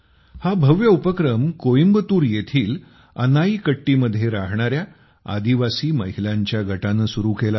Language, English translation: Marathi, This is a brilliant effort by a team of tribal women in Anaikatti, Coimbatore